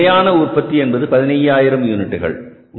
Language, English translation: Tamil, Again, the standard number of units are 15,000